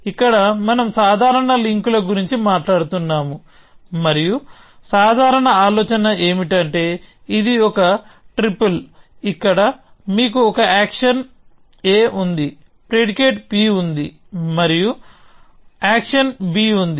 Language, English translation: Telugu, Here we are talking about casual links, and the general idea is that this is a triple where you have an action a; you have a predicate p, and you have an action b